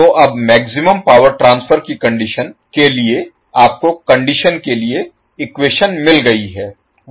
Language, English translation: Hindi, So, now for maximum power transfer condition you got to expression for the condition